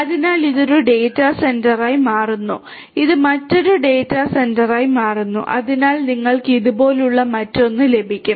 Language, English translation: Malayalam, So, this becomes one data centre, this becomes another data centre and so on so, you can have another like this